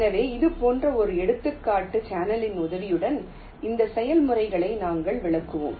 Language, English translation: Tamil, so we shall be illustrating this processes with the help of an example channel like this